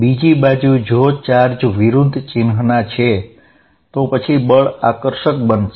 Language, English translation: Gujarati, On the other hand, if the charges are of opposite sign, then the force is going to be attractive